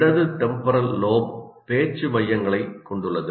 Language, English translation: Tamil, The left temporal lobe houses the speech centers